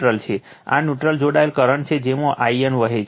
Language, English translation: Gujarati, This is neutral connected current flowing through I n right